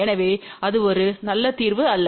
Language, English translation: Tamil, So, that is not a good solution at all